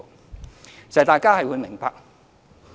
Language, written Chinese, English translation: Cantonese, 事實上，大家是明白的。, In fact Members all understand this